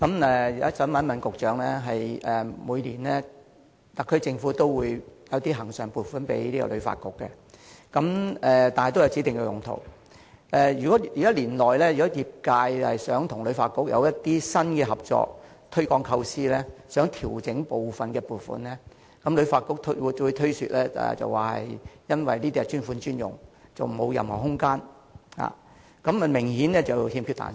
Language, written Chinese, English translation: Cantonese, 我想問局長，特區政府每年均會向旅發局撥出恆常撥款，但都有指定用途，如果年內業界想與旅發局提出新的合作項目或推廣構思，而希望調整部分撥款時，旅發局均會推說由於撥款是"專款專用"，沒有任何調整空間，這明顯是有欠彈性。, I would like to tell the Secretary that the recurrent funding provided by the SAR Government to HKTB each year has specified uses and if the industry wishes to implement new collaborative projects with HKTB or promote new ideas its application for adjusting the use of some funding will be rejected by HKTB on the ground that dedicated funds should be used for dedicated use leaving no room for adjustment . The mechanism is obviously too rigid and inflexible